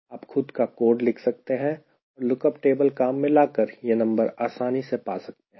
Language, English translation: Hindi, ok, you can even even write your own code ah, using a lookup table and get these numbers easily